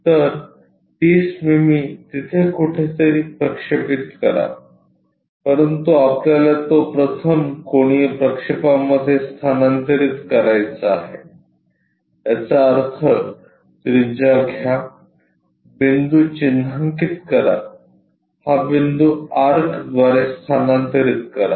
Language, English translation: Marathi, So, 30 mm project somewhere there, but we want to transfer that in the first angle projection; that means, take radius mark this point transfer it by arc